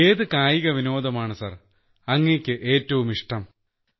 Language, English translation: Malayalam, Which sport do you like best sir